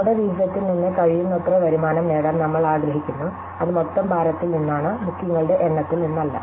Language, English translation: Malayalam, So, we want to get as much revenue as possible from our allocation not the number of bookings, but the total weight